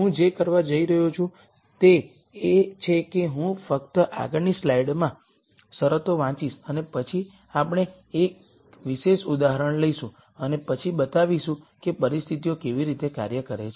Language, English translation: Gujarati, What I am going to do is I am just going to simply read out the conditions in the next slide and then we will take a particular example and then demonstrate how the conditions work